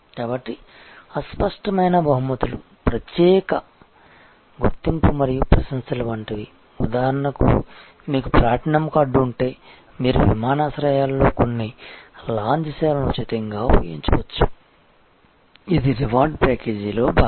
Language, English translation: Telugu, So, intangible rewards are special recognition and appreciation like for example, if you have a platinum card then you can use certain lounge services at airports free of cost, these are part of the reward package